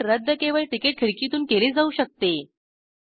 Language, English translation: Marathi, The cancellation can be done at ticket counters only